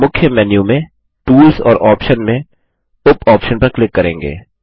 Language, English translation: Hindi, We will click on Tools in the main menu and Options sub option